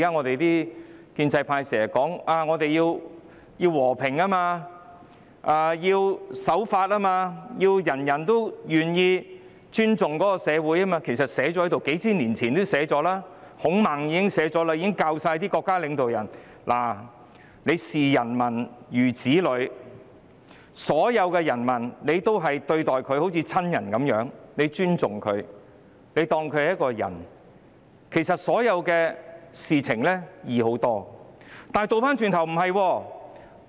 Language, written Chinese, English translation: Cantonese, 目前建制派經常把和平、守法、尊重社會掛在口邊，其實這些道理數千年前已有記載，孔孟早已教導國家領導人視民如子，將所有人民當作親人般對待和尊重，如是者所有事情也會好辦得多。, The pro - establishment camp often talks about peace law - abiding and respect for society; these truths have actually been recorded thousands of years ago . Confucius and Mencius taught state leaders to treat people like their own children . If they treated and respected all people as family members everything could be handled easily